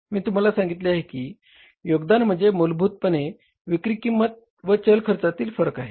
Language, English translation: Marathi, I told you the contribution is basically the difference in the selling price minus the variable cost